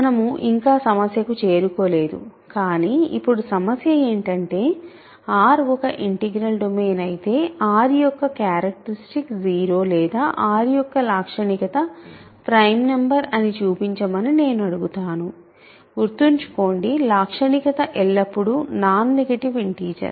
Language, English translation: Telugu, So, we have not yet gotten to the problem, but the problem now I will ask is show that if R is an integral domain, then characteristic of R is either 0 or characteristic of R is a prime number; remember characteristic is always a non negative integer